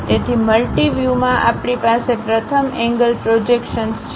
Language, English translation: Gujarati, So, in multi views, we have first angle projections